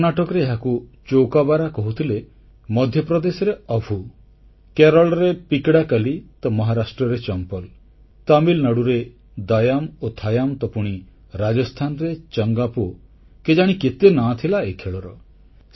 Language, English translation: Odia, Known as Chowkabara in Karnataka, Attoo in Madhya Pradesh, Pakidakaali in Kerala, Champal in Maharashtra, Daayaam and Thaayaam in Tamilnadu, Changaa Po in Rajasthan, it had innumerable names